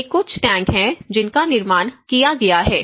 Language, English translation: Hindi, And so, these are some of the tanks which have been constructed